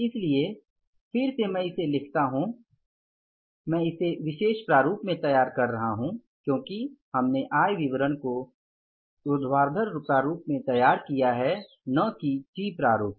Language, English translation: Hindi, So, again I write it, I am preparing it in the vertical format as we prepare the income statement in the vertical format, not in the T format